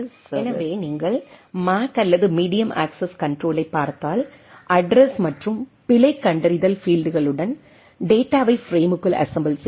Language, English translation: Tamil, So, if you look at the MAC or the Medium Access Control, so assembly of data into frame with address and error detection fields